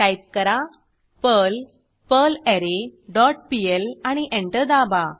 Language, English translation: Marathi, Type perl perlArray dot pl and press Enter